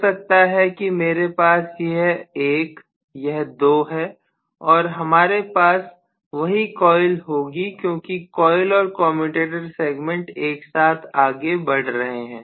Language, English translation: Hindi, Maybe I am going to have this as 1 this is 2 and I am going to have the same coil because the coils and the commutator segments are moving together